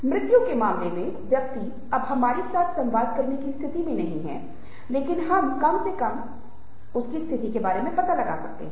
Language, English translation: Hindi, in case of death, the person is no longer in a position to communicate with us, but at least we get to know about his state of affairs